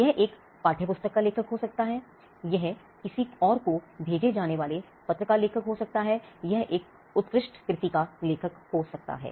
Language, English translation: Hindi, It could be an author of a textbook, it be an author of an letter being sent to someone else, it could be author of a masterpiece